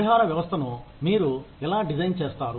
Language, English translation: Telugu, How do you design a compensation system